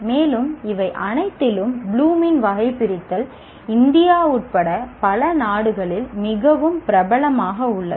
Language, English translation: Tamil, And among all this, Plum's taxonomy has been the seems to be more popular with, popular in several countries, including India